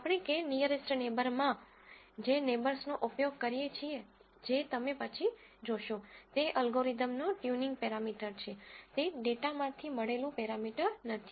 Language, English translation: Gujarati, The number of neighbors that we use in the k nearest neighbor algorithm that you will see later, is actually a tuning parameter for the algorithm, that is not a parameter that I have derived from the data